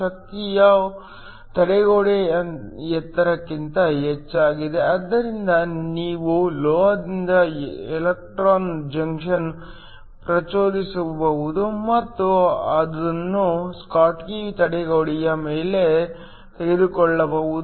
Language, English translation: Kannada, The energy is more than the barrier height, so you can excite an electron from the metal and take it above the schottky barrier